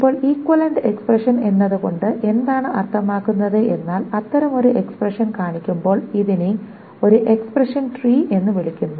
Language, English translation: Malayalam, Now what does this equivalent expression mean is that when such an expression is being shown, this is called an expression tree